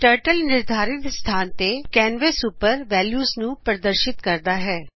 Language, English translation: Punjabi, Turtle displays the values on the canvas at the specified positions